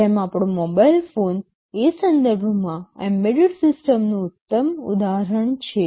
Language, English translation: Gujarati, Well, our mobile phone is a very classic example of an embedded system in that respect